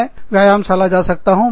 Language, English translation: Hindi, I can go to the gym